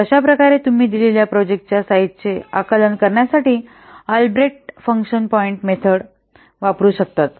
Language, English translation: Marathi, So in this way you can use Albreast function point method to find out the to estimate the size of a given project